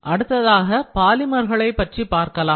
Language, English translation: Tamil, So, in that case polymers are very helpful